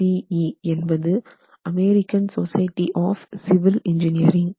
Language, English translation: Tamil, AC is American Society for Civil Engineering